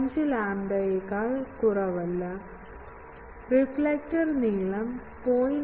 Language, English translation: Malayalam, 5 lambda not, reflector length is greater than 0